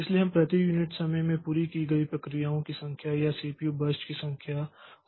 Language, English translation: Hindi, So, we can see like number of processes completed or number of CPU bars completed per unit time